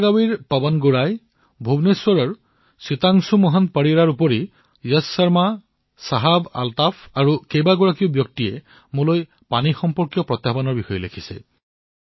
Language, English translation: Assamese, PawanGaurai of Belagavi, Sitanshu Mohan Parida of Bhubaneswar, Yash Sharma, ShahabAltaf and many others have written about the challenges related with water